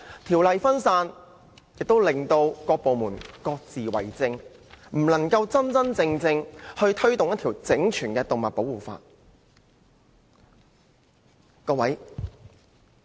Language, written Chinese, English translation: Cantonese, 條例分散，以致各部門各自為政，不能真正推動一套整全的動物保護法例。, The fragmentation of laws results in a lack of coordination among various departments making it impossible to promote a truly holistic set of legislation on animal protection